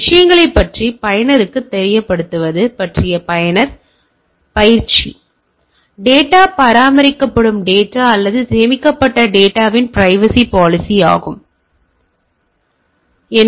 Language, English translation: Tamil, So, user training about user making the user aware of the things; privacy policy of the data maintained data or the stored data, scheduling the updates laptops things will be there